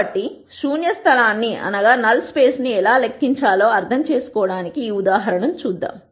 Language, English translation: Telugu, So, to understand how to calculate the null space let us look at this example